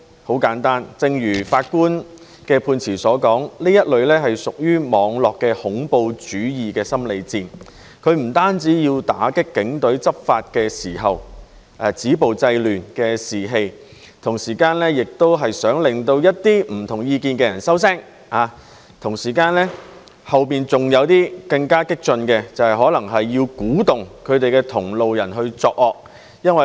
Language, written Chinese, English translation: Cantonese, 很簡單，正如法官的判詞所說，這是屬於網絡恐怖主義的心理戰，不單要打擊警隊執法時"止暴制亂"的士氣，同時也想令一些不同意見的人收聲，同時背後還有更激進的用意，就是要鼓動同路人作惡。, The answer is simple . As the judge said in the ruling this is a psychological warfare of cyberterrorism which seeks not only to undermine the morale of the police force to enforce the law and stop violence and control chaos but also to silence people of opposite opinions; and there is a more radical intention behind it as well which is to encourage other comrades to commit evil - doings